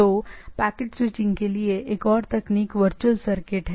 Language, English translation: Hindi, So, other technique for packet switching is the virtual circuit